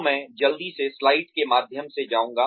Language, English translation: Hindi, So, I will quickly go through the slides